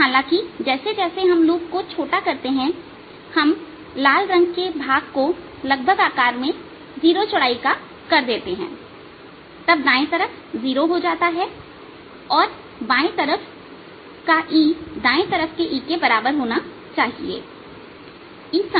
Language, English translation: Hindi, however, as we shrink the loop, we make the size, the red shaded region, almost zero way, right hand side becomes zero and therefore e on the left should be equal to e on the right side, is same on both side